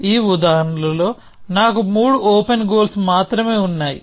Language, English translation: Telugu, In this example, I have only three open goals